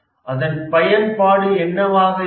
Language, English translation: Tamil, What will be its use